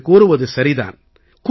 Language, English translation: Tamil, What you say is right